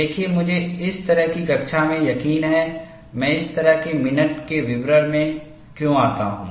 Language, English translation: Hindi, See, I am sure in a class like this, why I get into such minute details